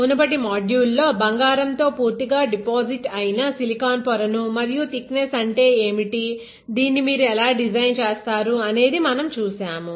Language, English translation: Telugu, In the previous module, we saw a silicon wafer that was fully deposited with gold and I told you what is the thickness, how do you design it and all right